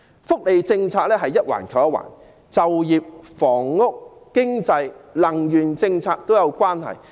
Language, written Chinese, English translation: Cantonese, 福利政策一環扣一環，就業、房屋、經濟、能源政策也是互相關連。, In welfare policies one issue links to another . Employment housing economy and power policy are all interrelated